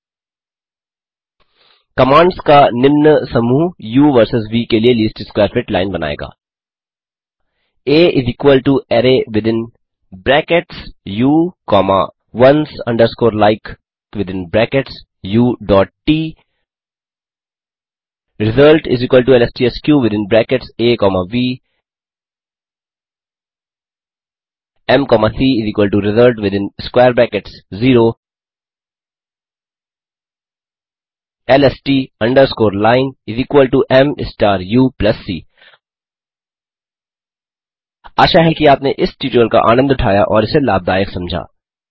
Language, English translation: Hindi, The following set of commands will produce the least square fit line of u versus v A = array within brackets u comma ones underscore like within brackets u.T result = lstsq within brackets A comma v m comma c = result within square brackets 0 lst underscore line = m star u plus c Hope you have enjoyed this tutorial and found it useful